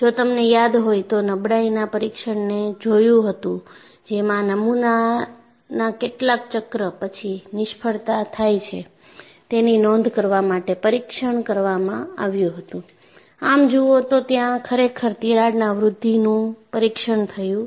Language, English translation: Gujarati, If you recall, if you look at the fatigue test, the test was conducted to record after how many cycles the specimen has failed; it has not really monitored the crack growth